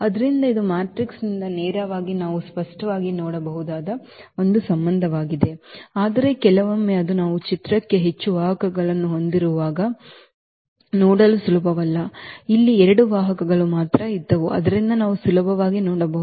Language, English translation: Kannada, So, that is a relation which we can clearly see from directly from the matrix itself because, but sometimes it is not easy to see when we have more vectors into picture here there were two vectors only, so we can see easily